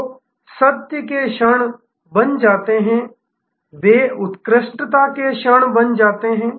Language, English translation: Hindi, So, the moments of truth becomes, they become moments of excellence